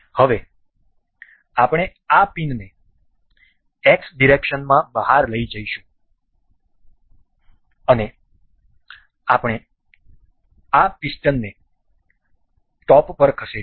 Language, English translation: Gujarati, Now, we will take this pin out in the X direction and we will move this piston on the top